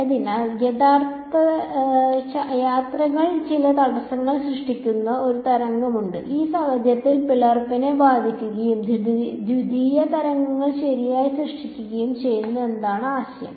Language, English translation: Malayalam, So, the idea was that there is wave that travels hits some obstacle in this case the slit and there are secondary waves that are generated right